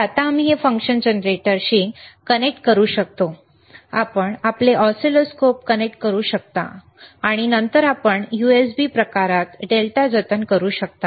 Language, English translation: Marathi, So now we can we can connect it to the function generator, you can connect your oscilloscope, and then you can save the data in the USB type